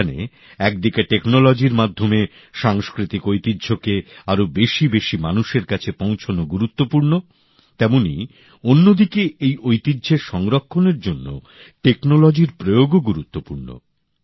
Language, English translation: Bengali, On the one hand it is important to take cultural heritage to the maximum number of people through the medium of technology, the use of technology is also important for the conservation of this heritage